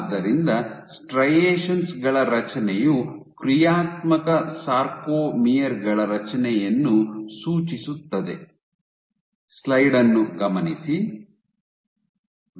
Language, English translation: Kannada, So, since formation of striations is indicative of a formation of sarcomeres functional sarcomeres